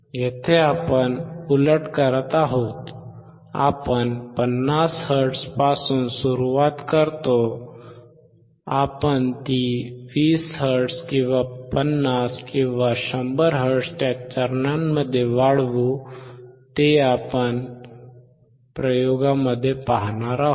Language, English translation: Marathi, Here we are doing opposite, we start from 50 hertz, we increase it at a step of 20 hertz or 50 or 100 hertz does not matter when we will see the experiment